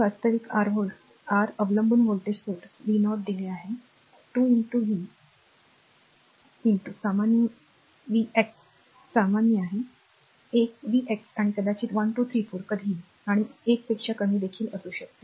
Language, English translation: Marathi, This is this is actually your dependent voltage source v 0 is given 2 into v x is general you can take a into v x right a maybe 1 2 3 4 what is ever and below less than 1 also